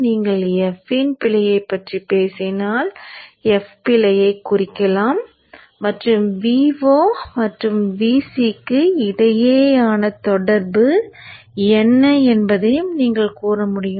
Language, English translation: Tamil, If you are talking of the error, the F can represent the error and you can say what is the relationship between the V0 and E, V0 and VC